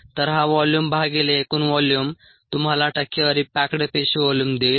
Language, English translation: Marathi, so this volume by the total volume is going to give you the percentage packed cell volume